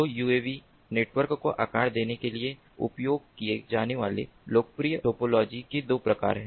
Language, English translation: Hindi, so there are two types of popular topologies that are used to have to model uav networks